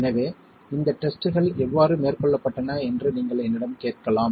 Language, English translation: Tamil, So this, you could ask me how were these tests carried out